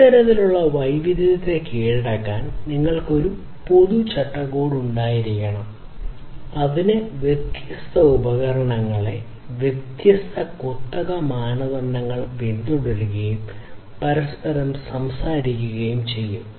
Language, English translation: Malayalam, So, you need to you need to in order to conquer this kind of heterogeneity; you need to have a common framework which will, which will make these disparate devices following different proprietary standards talk to each other